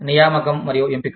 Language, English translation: Telugu, Recruitment and selection